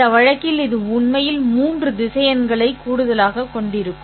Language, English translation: Tamil, In this case, you actually have an addition of three vectors